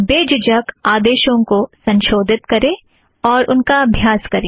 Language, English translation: Hindi, Feel free to modify the content and try them out